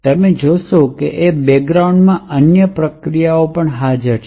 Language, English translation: Gujarati, And also, what you see is that there are other processes present in the background